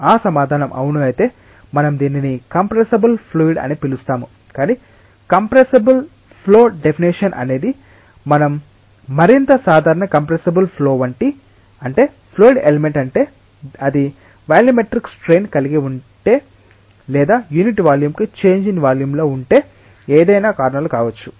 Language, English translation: Telugu, If that answer is that yes, it is significant we call it a compressible fluid, but not compressible flow definition is something more general compressible flow means fluid element which if it is going to have a volumetric strain or change in volume per unit volume by whatever reasons